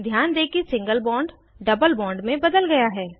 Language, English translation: Hindi, Observe that the single bond is converted to a double bond